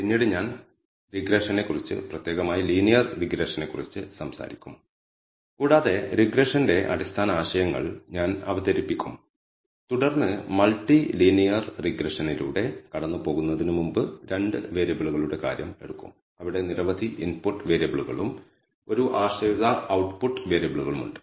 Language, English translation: Malayalam, Then I will talk about regression specifically linear regression and I will introduce the basic notions of regression and then take the case of 2 variables before taking going through multi linear regression where the several input variables and one dependent output variable